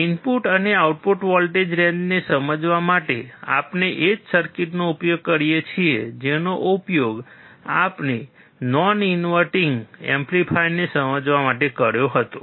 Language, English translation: Gujarati, To understand the input and output voltage range, we use the same circuit that we used for understanding the non inverting amplifier